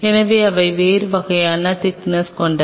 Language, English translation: Tamil, So, they have a different kind of thickness